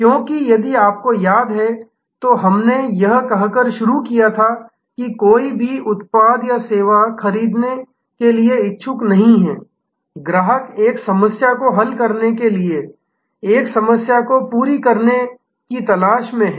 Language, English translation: Hindi, Because, if you remember, we had started by saying that nobody is interested to buy a product or service, customers are looking for meeting a need, resolving a problem